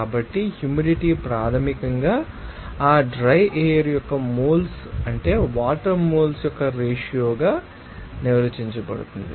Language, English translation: Telugu, So, humidity basically defined as the ratio of moles of water by what is that moles of you know that dry air